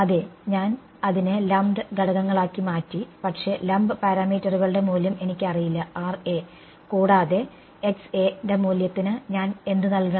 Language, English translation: Malayalam, Yeah, I have made it into lumped components, but I do not know the value of the lump parameters what should I put for the value of Ra and Xa